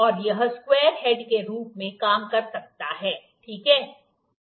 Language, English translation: Hindi, And it can work as a square head, ok